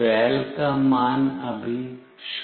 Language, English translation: Hindi, The value for “val” is 0 now